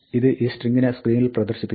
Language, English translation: Malayalam, This will display this string on the screen